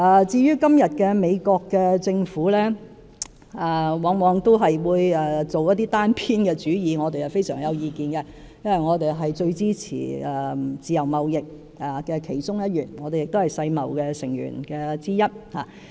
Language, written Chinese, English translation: Cantonese, 至於現時美國政府往往作出一些單邊主義行為，我們對此非常有意見，因為我們是最支持自由貿易的其中一員，亦是世界貿易組織的成員之一。, We have strong opinions on the acts of unilateralism currently done by the United States Government because we are one of the staunch supporters of free trade as well as a member of the World Trade Organization